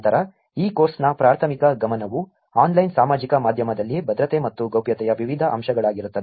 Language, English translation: Kannada, Then the primary focus of this course is going to be different aspects of security and privacy on online social media